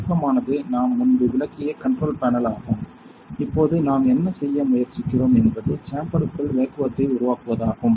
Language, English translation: Tamil, So, the start of this is the control panel we have explained before; now what we are trying to do is to create the vacuum inside the chamber